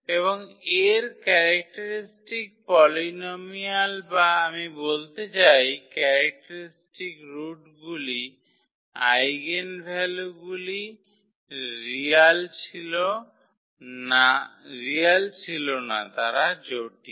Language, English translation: Bengali, And its characteristic polynomial or I mean the characteristic roots the eigenvalues were non real so the complex